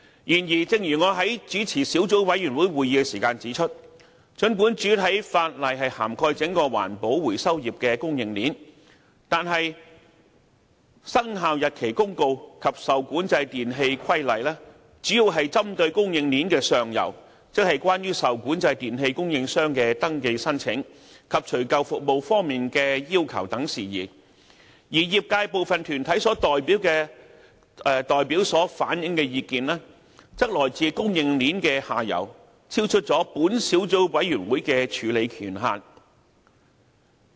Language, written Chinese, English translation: Cantonese, 然而，正如我在主持小組委員會時指出，儘管主體法例涵蓋整個環保回收業的供應鏈，但《生效日期公告》及《受管制電器規例》主要針對供應鏈的上游，即有關受管制電器供應商的登記申請，以及除舊服務方面的要求等事宜，而業界部分團體代表所反映的意見，則來自供應鏈的下游，超出本小組委員會的處理權限。, Yet as I have pointed out while chairing meetings of this Subcommittee the principal legislation covers the entire supply chain of the recycling industry but the Commencement Notice and the REE Regulation mainly deal with the upstream of the supply chain in respect of matters concerning applications for registration by REE suppliers and the requirements on removal service . Nevertheless the views relayed by some of the deputations of the industry came from the downstream of the supply chain and are thus beyond the vires of this Subcommittee